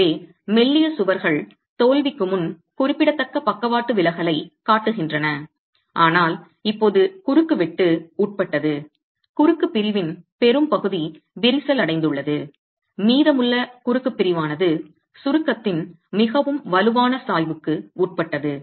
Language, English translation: Tamil, So slender walls show significant lateral deflection before failure but now the cross section is subjected to quite part of the cross section is cracked, the rest of the cross section is subjected to quite a strong gradient in compression, strong gradient in compressive strains and failure will be catastrophic